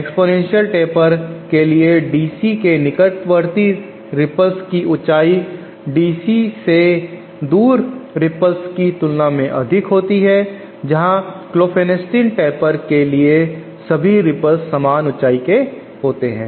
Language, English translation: Hindi, For the exponential taper the ripples nearer to the DC have higher heights as compared to the ripples far away from DC, where as for the Klopfenstein taper all the ripples are of same height